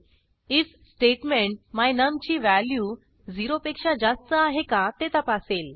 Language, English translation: Marathi, The if statement will check if the value of my num is greater than 0